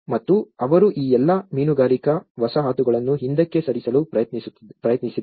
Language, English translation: Kannada, And they have tried to move back all these fishing settlements